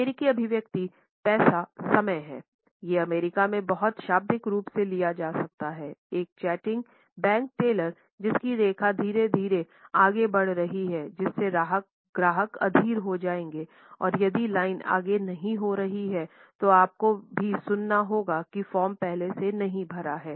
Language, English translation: Hindi, The American expression time is money can be taken very literally in the US, a chatty bank teller whose lines moving slowly will cause customers to become impatient and you will also get an earful if the line has to wait because you have not filled out your forms ahead of time